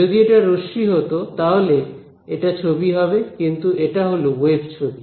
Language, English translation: Bengali, If it were rays then this is the picture, but this is the wave picture